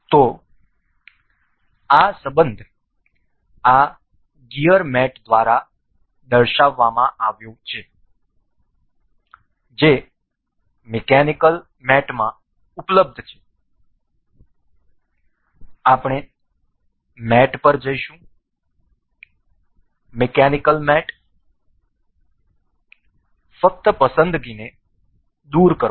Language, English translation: Gujarati, So, this relation is featured by this gear mate available in mechanical mates we will go to mate, mechanical mates just remove the selection